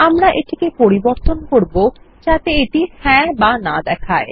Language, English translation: Bengali, We will change this to show a friendlier Yes or No option